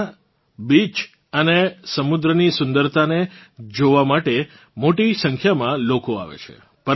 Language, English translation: Gujarati, A large number of people come to see the beaches and marine beauty there